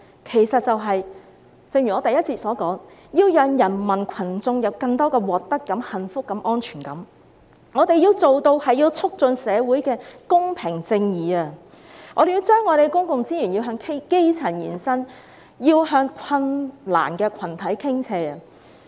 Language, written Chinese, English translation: Cantonese, 正如我之前的發言所說，是要讓人民群眾有更多獲得感、幸福感及安全感，我們要做到促進社會公平正義，要將公共資源向基層延伸、向困難群體傾斜。, As I have said in my previous speech it is to bring people a sense of gain happiness and security . We need to enhance social fairness and justice and direct more public resources to the grass roots and groups in need